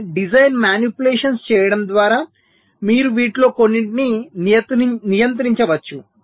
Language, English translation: Telugu, ok, so by doing some design manipulations you can control some of these